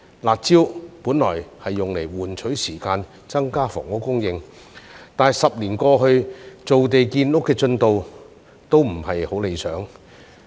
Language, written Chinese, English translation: Cantonese, "辣招"本用作換取時間，增加房屋供應，但10年過去，造地建屋的進度也不是很理想。, The curb measures were intended to buy time for increasing housing supply but after 10 years the progress of land formation and housing construction has not been very satisfactory